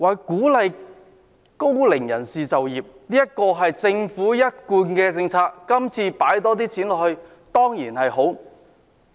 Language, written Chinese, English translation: Cantonese, 鼓勵高齡人士就業是政府一貫的政策，預算案投放更多資源在這方面，這當然好。, Encouraging the employment of the elderly is a consistent policy of the Government and the commitment in the Budget of more resources in this regard is certainly good